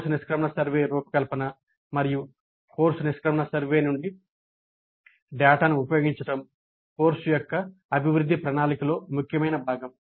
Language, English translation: Telugu, And the design of the course exit survey as well as the use of data from the course grid survey would form an important component in improvement plans of the course